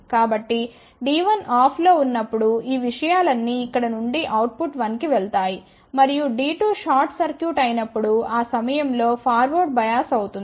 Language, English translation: Telugu, So, when D 1 is off all these things will go from here to output 1 and D 2 is short circuited that time or forward bias